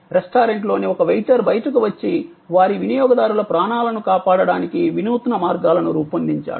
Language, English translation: Telugu, A waiter in the restaurant came out and devised innovative ways to save the lives of their customers